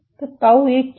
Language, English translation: Hindi, So, what is tau 1